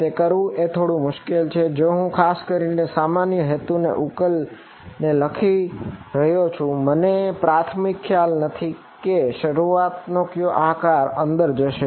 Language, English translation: Gujarati, That becomes tricky to do if I am particularly writing a general purpose solver I do not know apriori what is the shape of the origin that is going to go in